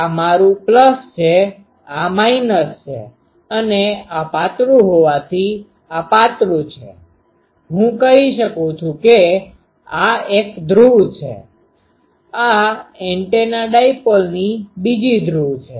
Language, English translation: Gujarati, So, this is my plus, this is minus and since this is thin, this is thin, I can say this is one pole, this is another pole of the antenna dipole